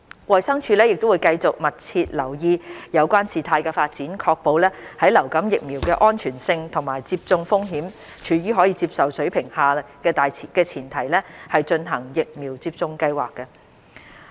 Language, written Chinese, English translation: Cantonese, 衞生署會繼續密切留意有關事態發展，確保在流感疫苗的安全性和接種風險處於可接受水平的前提下進行疫苗接種計劃。, DH will continue to closely monitor the development and ensure the implementation of the vaccination programmes while maintaining the safety of influenza vaccines and risk of vaccination at an acceptable level